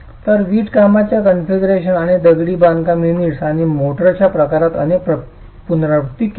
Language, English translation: Marathi, So, several iterations were carried out in the configuration of the brickwork and the type of masonry units and motor as well